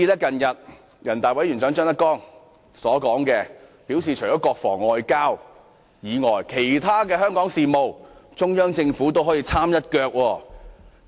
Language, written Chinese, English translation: Cantonese, 近日人大委員長張德江更表示，除了國防和外交外，其他的香港事務，中央政府也可以參一腳。, Recently ZHANG Dejiang Chairman of NPCSC has even indicated that in addition to defence and foreign affairs the Central Government could also involve itself in other Hong Kong affairs